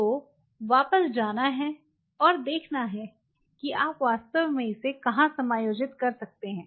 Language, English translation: Hindi, So, have to go back and see where you really can you know accommodated